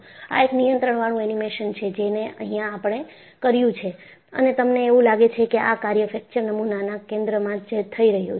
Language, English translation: Gujarati, This is a controlled animation, which we have done and you find this fracture is happening at the center of the specimen